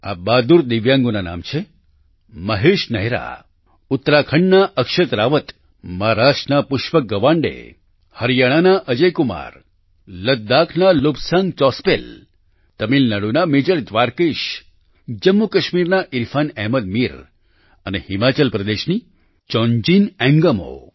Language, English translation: Gujarati, The names of these brave Divyangs are Mahesh Nehra, Akshat Rawat of Uttarakhand, Pushpak Gawande of Maharashtra, Ajay Kumar of Haryana, Lobsang Chospel of Ladakh, Major Dwarkesh of Tamil Nadu, Irfan Ahmed Mir of Jammu and Kashmir and Chongjin Ingmo of Himachal Pradesh